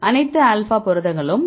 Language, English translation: Tamil, All alpha proteins